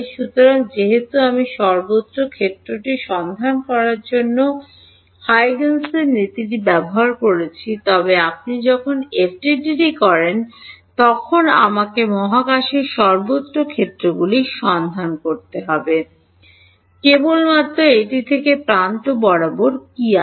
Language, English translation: Bengali, So, that I can apply Huygen’s principle to find out the field everywhere, but when you do FDTD I have to find out the fields everywhere in space, from that only take out what is along the edges